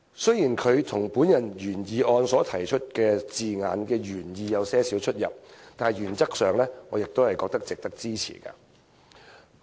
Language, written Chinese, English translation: Cantonese, 雖然他的修正案與我提出的原議案的字眼原意有輕微差異，但原則上，我亦認為值得支持。, Despite the slight difference in meaning of the wording between his amendment and my original motion I in principle think that it merits support